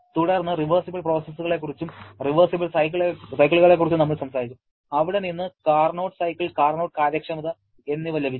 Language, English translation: Malayalam, Then, we talked about the reversible processes and reversible cycles from where we got the concept of Carnot cycle, Carnot efficiency